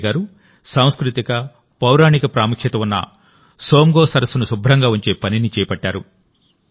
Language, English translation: Telugu, Sange ji has taken up the task of keeping clean the Tsomgo Somgo lake that is of cultural and mythological importance